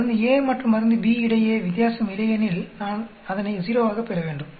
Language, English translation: Tamil, If there is no difference between drug A and B, I should get it as 0